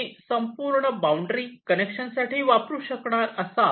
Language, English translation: Marathi, you can use the entire boundary for connection